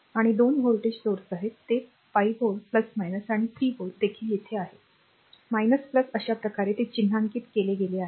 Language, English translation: Marathi, And 2 voltage sources are there, it is 5 volt plus minus and the 3 volt here also minus plus this way it has been marked